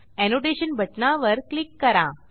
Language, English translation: Marathi, Click on the Annotation Button